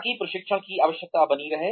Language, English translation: Hindi, So that, the need for training is sustained